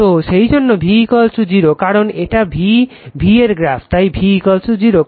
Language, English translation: Bengali, So, that is why V is equal to 0 because this is the curve for V so, V is equal to 0